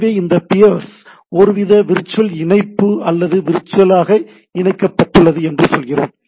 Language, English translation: Tamil, So, what we say this peers are in some sort of a virtual connection or virtually connected I should not say virtual connection